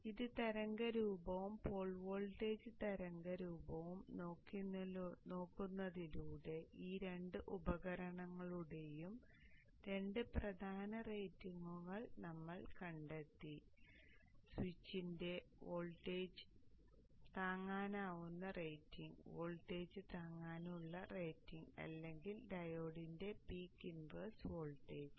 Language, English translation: Malayalam, So you see that just by looking at the waveform and the poor voltage waveform we have found two important ratings of these two devices the voltage withstanding rating of the switch and the voltage withstanding rating of the switch and the voltage withstanding rating of the peak inverse voltage of the time